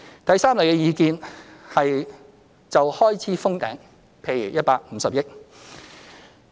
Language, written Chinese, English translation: Cantonese, 第三類意見是就開支"封頂"，譬如150億元。, The third type of views is to cap the expenditure at say 15 billion